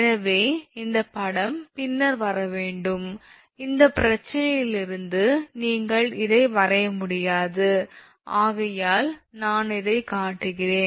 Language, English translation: Tamil, So, that is why this figure should come later, but I am showing before you before this thing because from this problem you cannot draw this one